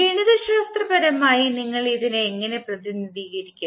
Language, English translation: Malayalam, How you will represent it mathematically